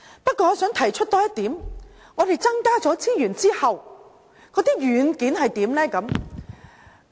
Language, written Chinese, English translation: Cantonese, 不過，我想多提出一點，在增加資源後，軟件又如何呢？, But I wish to add a point . Apart from adding more resources how about the software?